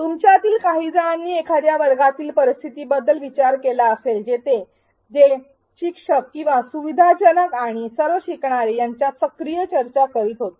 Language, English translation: Marathi, Some of you may have thought of a classroom scenario where they were active discussions between the teacher or the facilitator and all the learners